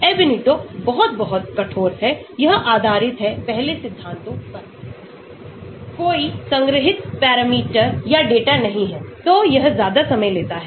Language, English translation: Hindi, Ab initio is very, very rigorous, it is based on first principles , there are no stored parameters or data, so it takes much longer time